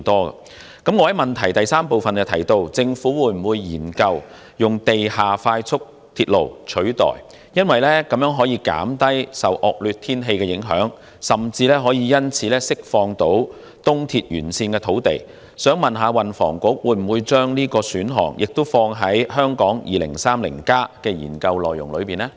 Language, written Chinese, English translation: Cantonese, 我在主體質詢第三部分問政府會否研究以地下快速鐵路取代東鐵線，因為這樣能減低受惡劣天氣的影響，甚至可因此釋放東鐵沿線土地，請問運輸及房屋局會否將這個選項也放在《香港 2030+》的研究範圍呢？, In part 3 of the main question I ask whether the Government will consider embarking on a study on the feasibility to construct as a replacement of ERL an underground express rail because this can alleviate the impact of bad weather and can even release the land along ERL . May I ask whether the Transport and Housing Bureau will incorporate this proposal under the scope of Hong Kong 2030 Study?